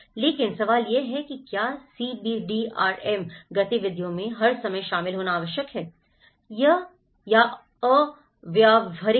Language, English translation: Hindi, But the question is; is it practical to involve everyone all the time in CBDRM activities